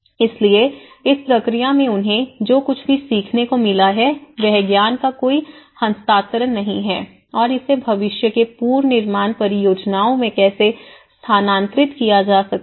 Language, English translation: Hindi, So, there is no transfer of knowledge what the learning they have gained in this process and how it can be transferred to the future reconstruction projects